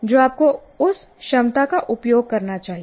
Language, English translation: Hindi, So you should make use of that